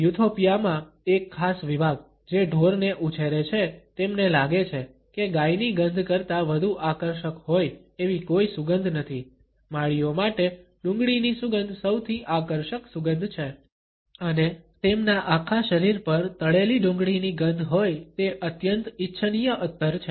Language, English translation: Gujarati, A particular section in Ethiopia, which raises cattles, finds that there is no scent which is more attractive than the odor of cows, for the Dogon of Mali the scent of onion is the most attractive fragrance and there are fried onions all over their bodies is a highly desirable perfumes